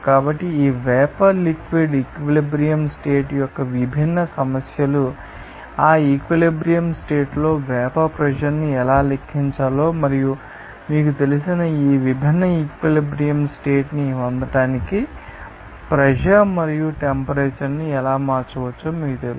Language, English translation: Telugu, So, we have discussed, you know, that different issues of this vapour liquid equilibrium condition how to calculate the vapor pressure at that equilibrium condition and how pressure and temperature can be changed to get that different equilibrium condition of this you know